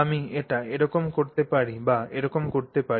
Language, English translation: Bengali, So, I could do it like this or I could do it like this, right